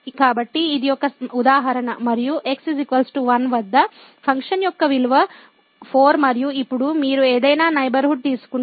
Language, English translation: Telugu, So, this is a for instance and at x is equal to 1 the value of the function is 4 and now, you take any neighborhood